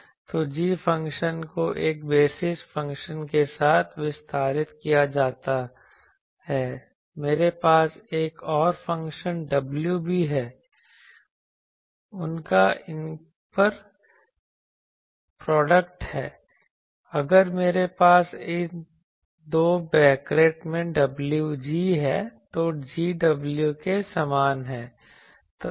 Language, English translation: Hindi, So, g function is expanded with a basis function I also have another function w their inner product is if I have w g in of this 2 brackets is inner product it is same as g w